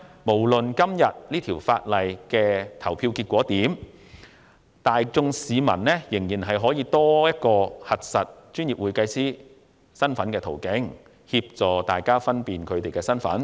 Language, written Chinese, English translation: Cantonese, 無論今天《條例草案》的表決結果為何，公會亦應提供多一個核實專業會計師身份的途徑，以協助市民確認會計師的身份。, Regardless of the voting results on the Bill today HKICPA should provide another way of assisting the public to ascertain the identities of its members